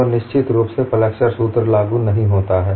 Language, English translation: Hindi, So, definitely, the flexure formula is not applicable